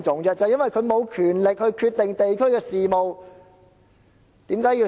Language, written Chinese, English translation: Cantonese, 正正因為區議員無權決定地區的事務。, It is exactly because DC members have no authority to make decisions on district matters